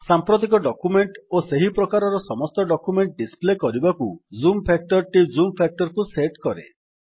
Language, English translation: Odia, The Zoom factor sets the zoom factor to display the current document and all documents of the same type that you open thereafter